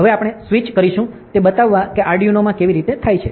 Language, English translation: Gujarati, Now we will switch to the showing how it happens in Arduino